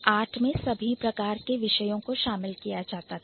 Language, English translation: Hindi, So, art used to include all kinds of disciplines